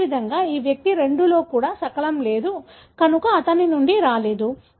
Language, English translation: Telugu, Likewise, this fragment missing in this individual 2, so could not have come from him